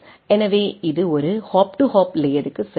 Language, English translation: Tamil, So, it goes for a hop to hop layer